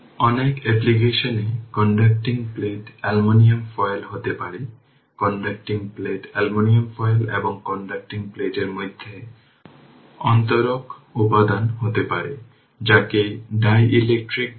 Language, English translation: Bengali, In many applications the conducting plates may be aluminum foil right the that conducting plates may be aluminum foil and the insulating material between the conducting plates, we called a dielectric right